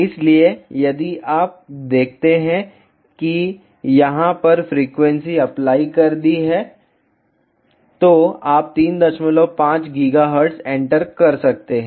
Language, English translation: Hindi, So, if you see now the frequencies applied over here, you can enter 3